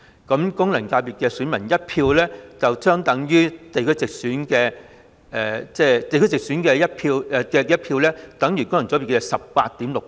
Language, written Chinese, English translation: Cantonese, 功能界別選民的1票相等於地區直選的......地區直選的1票等於功能界別的 18.6 倍。, One vote from a FC elector is equal to one vote in geographical constituency election means 18.6 times in FC election